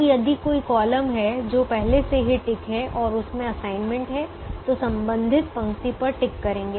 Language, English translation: Hindi, now, if there is a column that is already ticked and it has an assignment, then tick the corresponding row